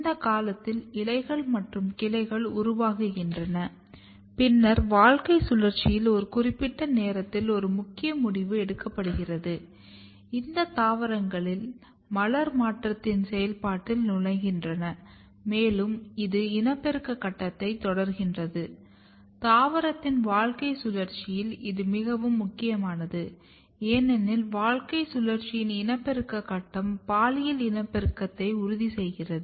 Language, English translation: Tamil, And that is the period when they make branches they make leaves and then at a particular time point in their life cycle a major decision is being taken place; where what happens that this vegetative plants basically enters in the process of called floral transition and it start the reproductive phase; and this is very important in the life cycle of the plant because, reproductive phase of the life cycle ensures the sexual reproduction